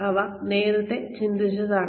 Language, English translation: Malayalam, They are thought of earlier